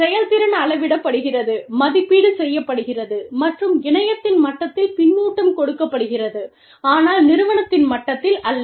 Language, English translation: Tamil, And, the performance is measured and evaluated, and given feedback to, at the level of the network, and not at the level of the firm